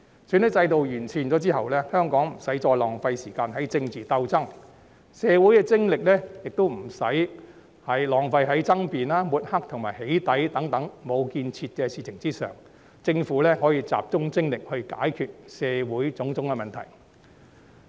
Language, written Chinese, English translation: Cantonese, 選舉制度完善後，香港不需要再浪費時間於政治鬥爭，社會精力亦不需要再浪費於爭辯、抹黑和"起底"等無建設的事情上，政府可以集中精力來解決社會的種種問題。, Following the improvement of the electoral system Hong Kong no longer needs to waste its time on political struggles nor does society need to waste their energy on such unconstructive matters as arguments mudslinging and doxxing; and the Government can focus its efforts on resolving various problems in society